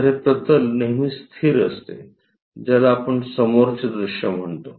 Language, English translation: Marathi, So, this plane is always fixed which we call front view